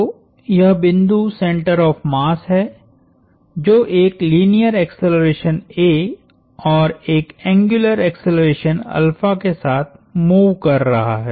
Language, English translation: Hindi, So, this point is the center of mass is moving with an angular, with a linear acceleration a and an angular acceleration alpha